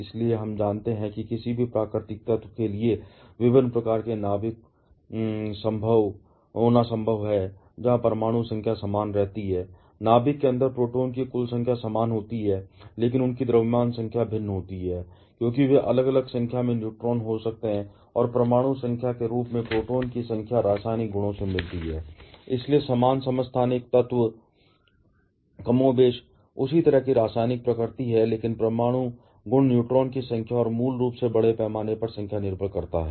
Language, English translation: Hindi, So, from that, we know that it is possible to have for any natural element to have different kinds of nucleus, where the atomic number remains the same; that is the total number of protons inside the nucleus is the same, but their mass number varies because they may be having different number of neutrons and as the atomic number that is the number of protons reside the chemical properties, so different isotopes of the same element, more or less have the same kind of chemical nature , but the nuclear properties depends strongly on the number of neutrons and the basically on the mass number